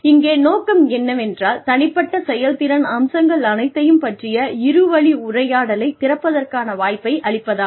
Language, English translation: Tamil, The purpose here, is to provide an opportunity, for opening a two way dialogue, about all aspects of individual performance